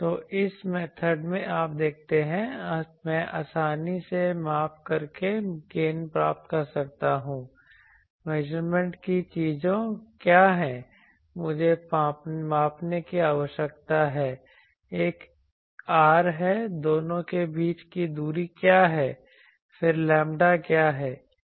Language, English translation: Hindi, So, in this method you see I can easily find out gain by measuring, what are the measurement things I need to measure one is R, what is the distance between the two then what is lambda